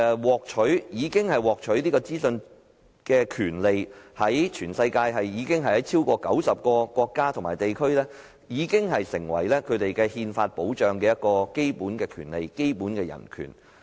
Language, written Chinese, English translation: Cantonese, 獲取資訊的權利在全球超過90個國家及地區已成為當地憲法保障的基本權利及人權。, The right to information has become the basic right and human right safeguarded by the local constitution of over 90 nations and regions worldwide